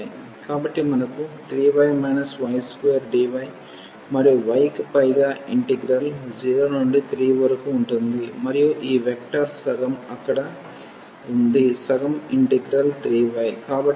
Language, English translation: Telugu, So, we have 3 y minus y square dy and the integral over y from 0 to 3 and this vector half there so, half the integral 3 y